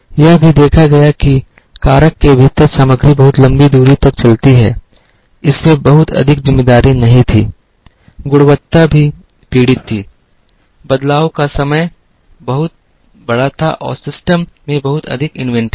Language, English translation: Hindi, It was also observed that, material move very long distances within the factor, there was not much of responsibility, quality was also suffering, changeover times were very large and there was a lot of inventory in the system